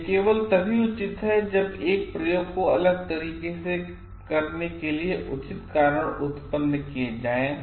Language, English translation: Hindi, It is only justified if proper reasons are produced for conducting the same experiment in a different way